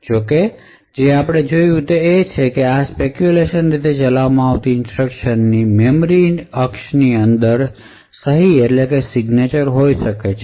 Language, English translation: Gujarati, However, what is seen is that these speculatively executed instructions may have a signature inside the memory axis